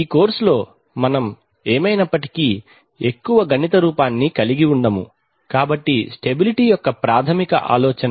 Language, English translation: Telugu, In this course we are not going to have a very mathematical look anyway, so that is the basic idea of stability